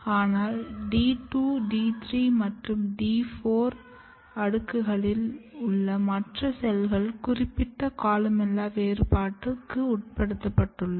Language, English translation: Tamil, But other cells which are in D 2 layer, D 3 layer and D 4 layer, they have undergone the process of differentiation; columella specific differentiation